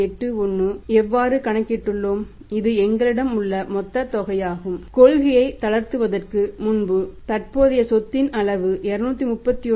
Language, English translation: Tamil, 81 that has been calculated from this one that is the total amount here we have is that the level of current asset was previously before relaxing the policy was 231